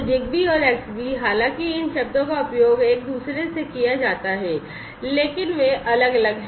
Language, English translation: Hindi, So, ZigBee and Xbee, although these terms are used interchangeably, but they are different